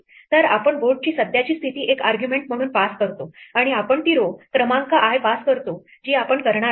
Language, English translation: Marathi, So, we pass it the current state of the board as one argument and we pass it the row number i that we are going to do